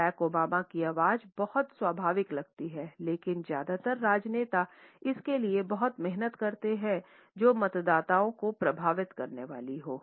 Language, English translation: Hindi, Barack Obama’s voice seems very natural, but most politicians work very hard to achieve a sound that impresses the voters